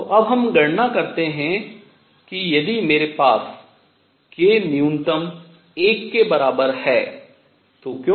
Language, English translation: Hindi, So, let us now enumerate if I have k minimum was equal to 1, why